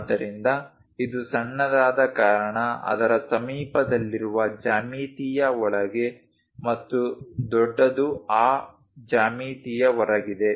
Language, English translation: Kannada, So, this is the smallest one that is a reason inside of that geometry near to that and the large one outside of that geometry